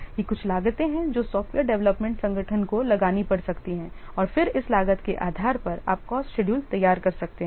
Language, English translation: Hindi, So, these are some of the what charges, these are some of the costs that the software development organization may have to incur and then based on this cost you can prepare the cost schedule